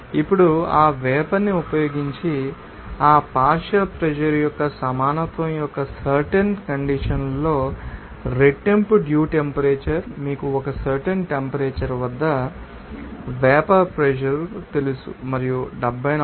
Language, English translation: Telugu, Now, using that steam double the dew point temperature at that particular condition of that equality of that partial pressure to each you know vapor pressure at a particular temperature and pressure that temperature will be as you know 74